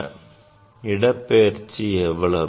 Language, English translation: Tamil, and for that what is the displacement